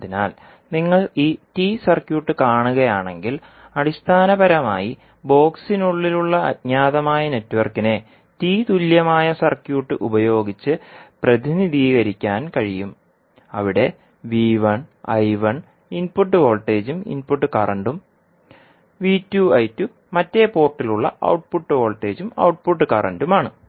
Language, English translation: Malayalam, So, if you see this particular T circuit, so the unknown that is basically the network which is there inside the box can be equivalently represented by a T equivalent circuit where VI I1 are the input voltage and input currents and V2 I2 are the output voltage and output current at the other port